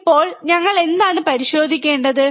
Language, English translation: Malayalam, Now, what we have to check